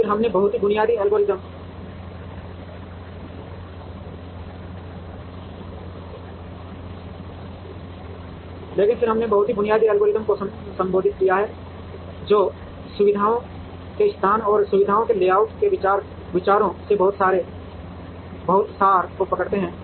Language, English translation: Hindi, But, then we have addressed very basic algorithms, which capture the very essence of the ideas in facilities location, and facilities layout